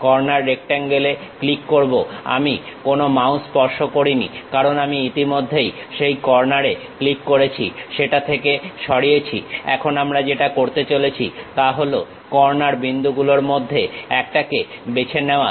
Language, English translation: Bengali, Click Corner Rectangle; I did not touched any mouse because I already clicked that corner moved out of that now what we are going to do is, pick one of the corner points